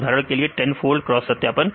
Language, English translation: Hindi, For example, it is 10 fold cross validation